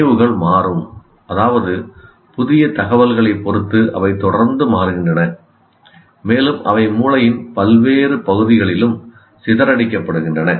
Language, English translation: Tamil, And as I said already, memories are dynamic, that means they constantly change depending on the new information and they are dispersed over the various parts of the brain